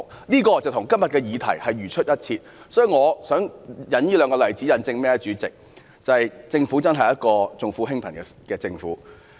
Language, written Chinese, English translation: Cantonese, 這例子與今天的議題同出一轍，主席，我引述這兩個例子，就是要引證政府確實是一個重富輕貧的政府。, This example shares the same origins of the motion debate today . President I have the two examples to prove that the Government has really adopted the attitude of attending to the rich but neglecting the poor